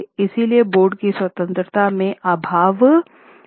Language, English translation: Hindi, So there was lack of independence of board